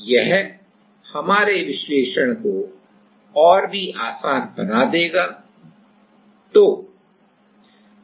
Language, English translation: Hindi, So, it will make our analysis even simpler